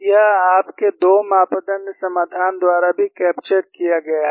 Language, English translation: Hindi, This is also captured by your 2 parameter solution